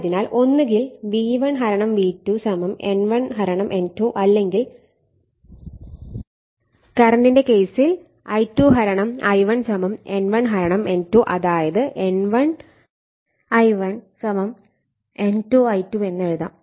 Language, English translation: Malayalam, Therefore, either you can write V1 / V2 = N1 / N2 or in the case of current it will be I2 / I1 = N1 / N2 that is N1 I1 = N2 I2 right